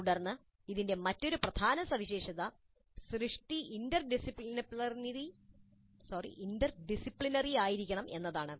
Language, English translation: Malayalam, Then another key feature of this is that the work should be interdisciplinary in nature